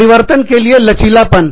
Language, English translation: Hindi, Flexibility to change